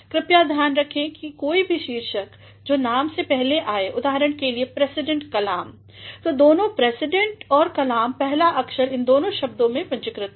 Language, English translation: Hindi, Please do remember any title preceding a name, for example, President Kalam; so, both the President and Kalam, the first letter of both these words is capital